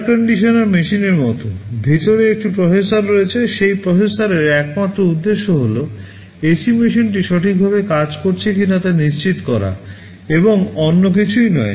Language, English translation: Bengali, Like an air conditioning machine, there is a processor inside, the sole purpose of that processor is to ensure that the ac machine is working properly, and nothing else